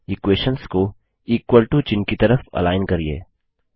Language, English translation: Hindi, Align the equations at the equal to character